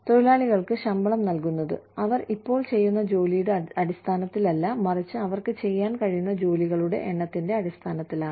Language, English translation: Malayalam, Workers are paid, not on the basis of the job, they currently are doing, but rather on the basis of, the number of jobs, they are capable of doing